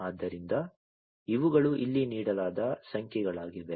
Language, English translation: Kannada, So, these are the numbers that are given over here